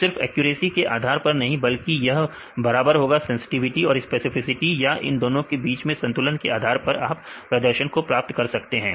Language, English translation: Hindi, So, not just with our based on accuracy it will equal sensitivity or specificity or accuracy or you can get the balance between the sensitivity and the specificity to get the performance